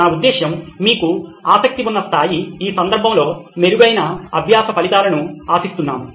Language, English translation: Telugu, I mean the level that you are interested in, which in this case is for better learning outcomes